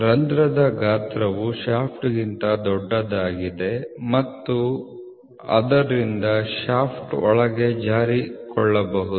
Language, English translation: Kannada, Where the hole size is larger than the shaft so the shaft can slip inside